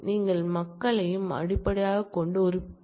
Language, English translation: Tamil, You can compare based on people as well